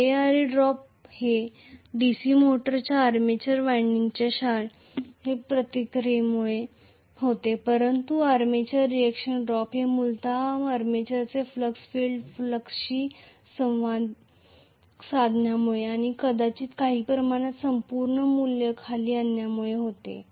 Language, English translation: Marathi, IaRa drop is because of the physical resistance of the DC motors winding, armature winding whereas the armature reaction drop is essentially due to the armature flux interacting with the field flux and maybe bringing down the overall value by some quantity